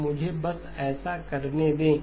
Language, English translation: Hindi, So let me just maybe do that